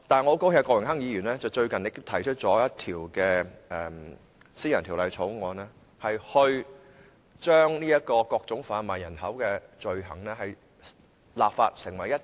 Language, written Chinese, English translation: Cantonese, 我很高興郭榮鏗議員近日提出了一項私人條例草案，訂立整全法例打擊販賣人口罪行。, I am glad that Mr Dennis KWOK has recently introduced a private Members Bill which seeks to make a comprehensive law against human trafficking